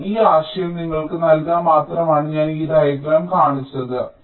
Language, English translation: Malayalam, so i have just shown this diagram, just to give you this, this idea